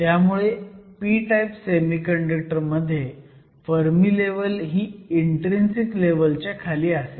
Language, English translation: Marathi, So, in the case of a p type semiconductor, you have the Fermi level located below the intrinsic level